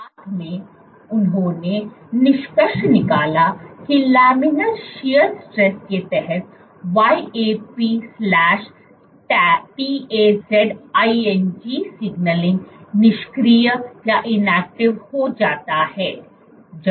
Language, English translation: Hindi, Together what they concluded was under laminar shear stress inactivates YAP/TAZ signaling